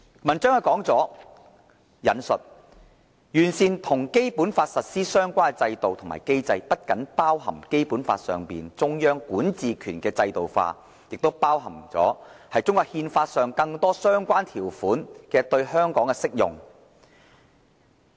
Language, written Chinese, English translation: Cantonese, 文章指出："'完善與《基本法》實施相關的制度和機制'，不僅包含《基本法》上中央管治權的制度化，也包括中國憲法上更多相關條款的對港適用"。, According to the article and I quote improv[ing] the systems and mechanisms for enforcing the basic laws includes not only the institutionalization of the Central Governments jurisdiction as provided by the Basic Law but also the application in Hong Kong of more provisions in the Constitution of China